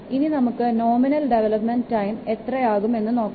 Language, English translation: Malayalam, So you see we will get the value of nominal development time is equal to 2